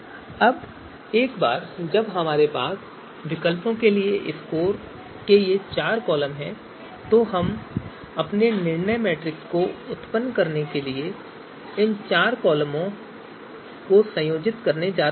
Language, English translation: Hindi, Now once we have these you know four you know columns of the scores for alternatives, we are going to combine these you know four columns to generate our decision you know matrix